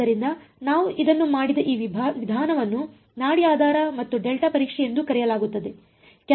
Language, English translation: Kannada, So, this method that we did it is also called pulse basis and delta testing